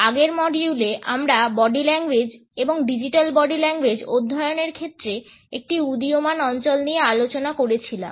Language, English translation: Bengali, In the previous module, we had looked at an emerging area in the studies of Body Language and that was the Digital Body Language